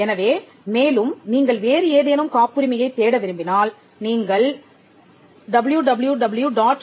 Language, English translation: Tamil, So, if you want to search any other patent, you could go to www